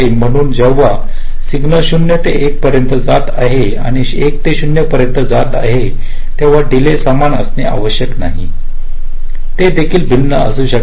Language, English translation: Marathi, so the delays when a signal is going from zero to one and going from one to zero may need not necessary be equal, they can be different also